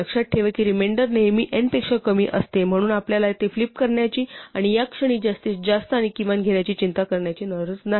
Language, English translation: Marathi, And remember that the remainder is always less than n so we do not have to worry about flipping it and taking max and min at this point